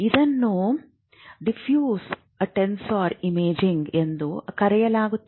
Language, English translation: Kannada, This is what you call a diffuse tensor imaging